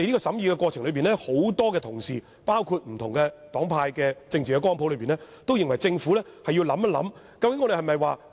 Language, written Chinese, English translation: Cantonese, 在審議過程中，很多包括不同黨派和政治光譜的同事均認為政府要思考這問題。, During deliberation many fellow colleagues from different political parties and groups across the political spectrum share the same views that consideration should be given by the Government to the issue